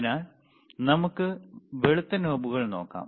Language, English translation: Malayalam, So, let us see the white knobs there are there,